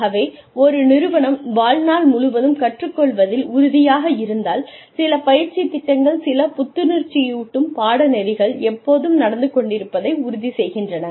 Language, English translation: Tamil, So, if an organization is committed, to lifelong learning, then they ensure that, some training program, some refresher course, is always going on